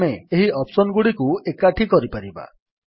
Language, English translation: Odia, We can combine these options as well